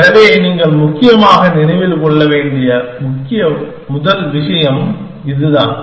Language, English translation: Tamil, So, that is the key first thing that you must remember essentially